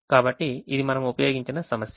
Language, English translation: Telugu, so this is the problem that we have used